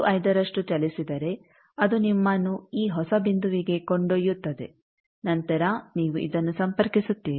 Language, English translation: Kannada, 15 that will take you to this new point then you connect this